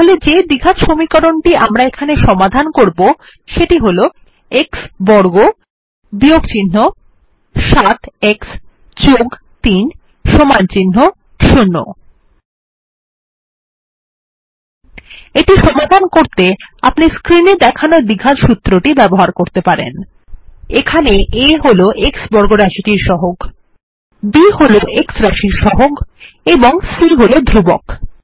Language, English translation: Bengali, So here is the quadratic equation we will solve, x squared 7 x + 3 = 0 To solve it, we can use the quadratic formula shown on the screen: Here a is the coefficient of the x squared term, b is the coefficient of the x term and c is the constant